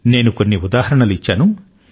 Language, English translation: Telugu, I have mentioned just a few examples